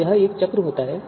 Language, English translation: Hindi, So there could be a cycle